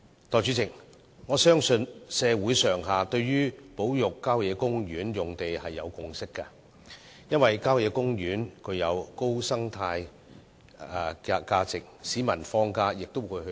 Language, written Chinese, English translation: Cantonese, 代理主席，我相信社會上下對保育郊野公園用地已有共識，因為郊野公園具高生態價值，市民在放假時也會到郊野公園遠足。, Deputy President I believe society as a whole has reached a consensus on the conservation of land in country parks as these parks are ecologically important . People will go hiking in the country parks when they are on holiday